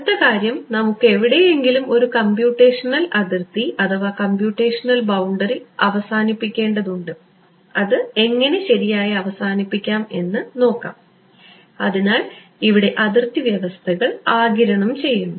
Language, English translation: Malayalam, Next thing is we need to terminate a computitional boundary somewhere, how do we terminate it right; so, absorbing boundary conditions